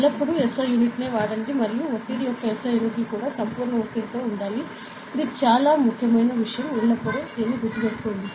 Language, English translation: Telugu, Remember always use the SI unit and the SI units of pressure should also be in absolute pressure, very important thing always remember this ok